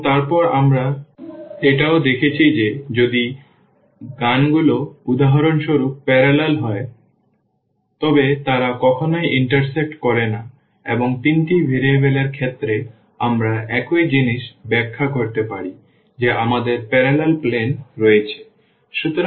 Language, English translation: Bengali, And then we have also seen that if the lines are parallel for example, that they never intersect and the same thing we can interpret in case of the 3 variables also that we have the parallel planes